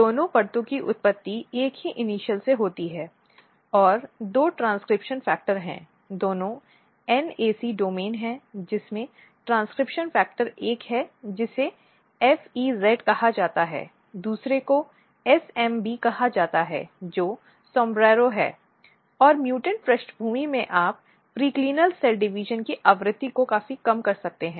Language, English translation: Hindi, So, the origin of both the layers are from the same initial and there are two transcription factor both are NAC domain containing transcription factor one is called FEZ another is called basically SMB which is SOMBRERO and what happens that in mutant background what you can see here the frequency of periclinal cell divisions significantly decrease